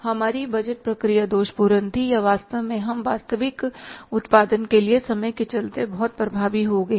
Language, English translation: Hindi, Our budget process was defective or actually we have become very, very effective while going for the actual production